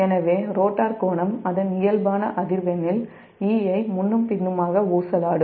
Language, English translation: Tamil, so rotor angle will then oscillate back and forth around e at its natural frequency